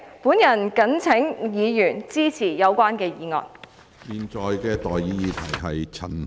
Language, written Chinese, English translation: Cantonese, 本人謹請議員支持議案。, I urge Members to support this motion